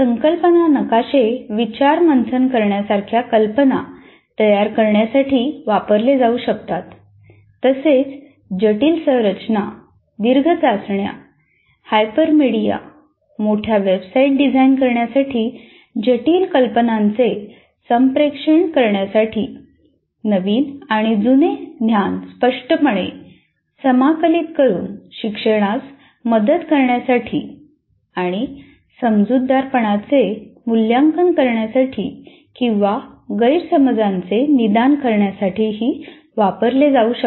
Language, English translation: Marathi, Now, the concept maps can be used to generate ideas like for brainstorming, to design complex structures, long tests, hypermedia, large websites, to communicate complex ideas, to aid learning by explicitly integrating new and old knowledge and to assess understanding or diagnose misunderstanding